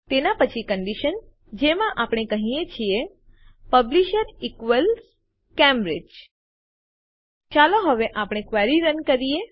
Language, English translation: Gujarati, Followed by a condition, where we say Publisher equals Cambridge Let us run our query now